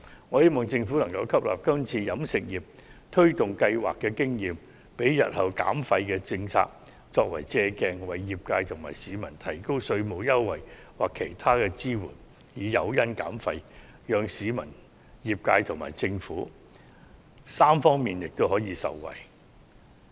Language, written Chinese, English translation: Cantonese, 我希望政府能吸納今次與飲食業推動相關計劃的經驗，以作日後減廢政策的借鑒，為業界和市民提供稅務優惠或其他支援，作為減廢的誘因，令市民、業界和政府三方面均可受惠。, I hope that the Government will draw lessons from the launch of the campaign with the food and beverage sector this time for future reference in the formulation of policies on waste reduction with a view to offering incentives in the form of tax concession or other financial support to the sector and members of the public thus benefiting the three parties of the public the sector and the Government at the same time